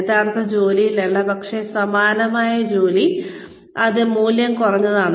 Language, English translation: Malayalam, But, a similar job, that is of lesser value